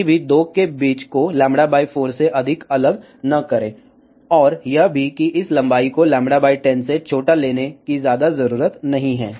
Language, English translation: Hindi, Never ever take the separation between the 2 as more than lambda by 4, and also there is not much need to take this length smaller than lambda by 10 ok